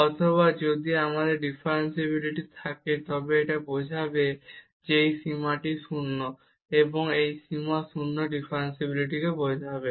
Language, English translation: Bengali, Or if we have differentiability it will imply that this limit is 0, and this limit 0 will imply differentiability